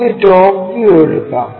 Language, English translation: Malayalam, Let us take the top view